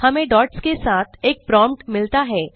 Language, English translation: Hindi, We get a prompt with dots